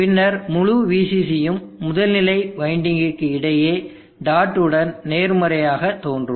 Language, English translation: Tamil, In the whole VCC will appear across the primary winding with dot as positive